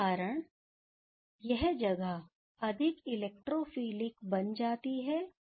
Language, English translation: Hindi, So, this place becomes more electrophilic